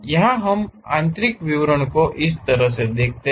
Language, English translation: Hindi, Here we can see the interior details like this one as that